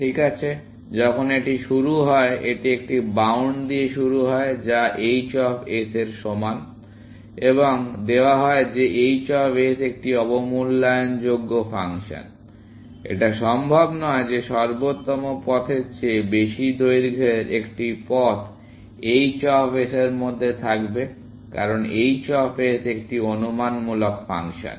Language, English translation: Bengali, Well, when it starts, it starts with a bound which is equal to h of s, and given that h of s is an underestimating function; it is not possible that a path of length greater than optimal path, will exist within h of s, because h of s is an under estimative function